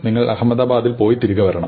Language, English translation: Malayalam, You must go to Ahmedabad and then come back